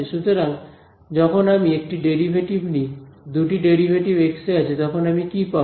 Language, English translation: Bengali, So, when I take a derivative, two derivatives in x, what will I get